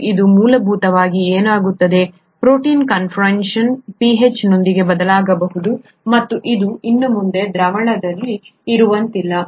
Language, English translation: Kannada, And that is essentially what happens, protein conformation may also change with pH, and it can no longer be in solution